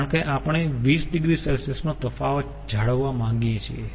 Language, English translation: Gujarati, because we want to maintain a difference of twenty degree